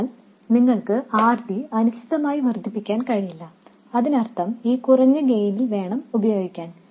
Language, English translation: Malayalam, So you can't increase RD indefinitely, which means that you have to live with this reduction in gain